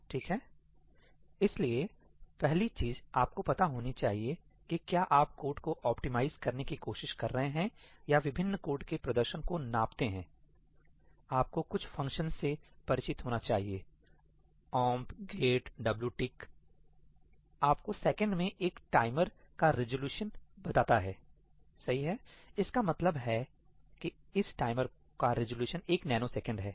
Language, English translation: Hindi, Alright, so, the first thing you should know if you are trying to optimize code or gauge the performance of different codes, you need to be familiar with some functions; ‘omp get wtick’ tells you the resolution of a timer in seconds this means that the resolution of this timer is one nanosecond